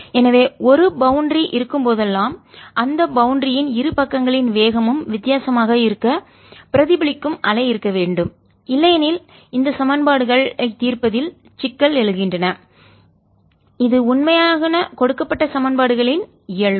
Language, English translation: Tamil, so whenever there is a boundary so that the speeds of the two sides of that boundary are different, there has to be a reflected wave also, otherwise arise into problems of satisfying these equations, which are true nature, given equations